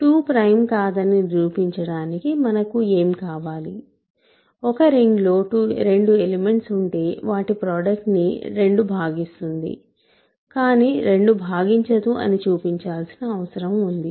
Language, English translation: Telugu, So, 2 is not prime, what do I need to show that 2 is not prime, I need to show that there are two elements in the ring whose product 2 divides but 2 does not divide it